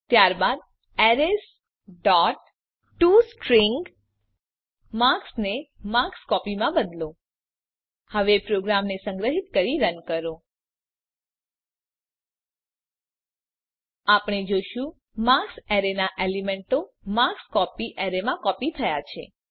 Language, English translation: Gujarati, Then in arrays dot tostring change marks to marks copy Now save and run the program We see that the elements of the array marks have been copied to the array marksCopy